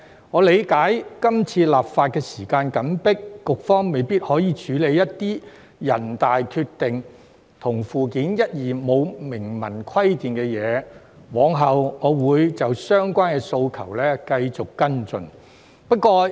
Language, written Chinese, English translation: Cantonese, 我理解今次立法時間緊迫，局方未必可以處理一些人大決定與附件一及附件二沒有明文規定的部分，我往後會就相關的訴求繼續跟進。, I understand that due to the tight schedule the Administration may not be able to handle parts which are not explicitly stipulated in the decision made by NPCSC and in Annex I and Annex II . I will continue to follow up the request in the future